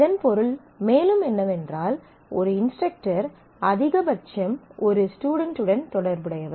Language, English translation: Tamil, And it also means that and an instructor is associated with at most student